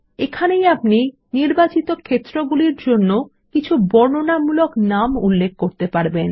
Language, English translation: Bengali, This is where we can enter descriptive names for the selected fields